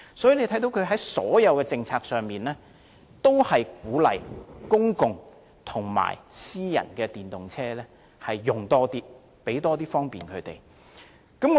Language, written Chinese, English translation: Cantonese, 因此，內地在所有政策上均鼓勵更多使用公共和私人電動車，盡量給予方便。, Therefore policies are in place in the Mainland to encourage and facilitate more extensive use of public and private EVs as far as possible